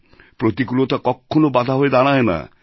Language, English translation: Bengali, Hardships can never turn into obstacles